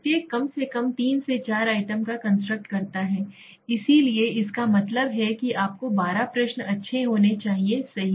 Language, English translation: Hindi, Each constructs at least 3 to 4 items, so that means you need to have 12 question as good as that right